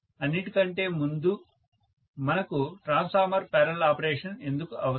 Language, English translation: Telugu, First of all, why do we need parallel operation of transformers at all